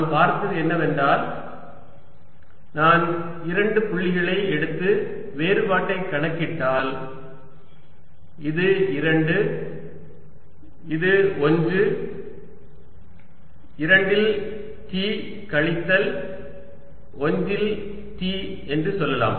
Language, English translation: Tamil, that if i take two points and calculate the difference, let's say this is two, this is one t at two minus t at one